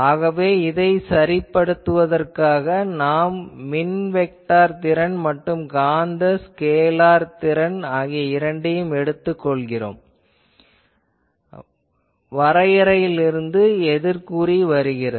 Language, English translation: Tamil, So, to adjust with that we are taking both these electric vector potential and this magnetic scalar potential, we are choosing by definition negative